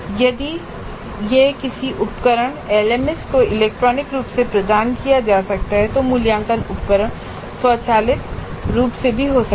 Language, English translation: Hindi, If this can be provided electronically to a tool to an LMS then assessment instrument can be generated automatically also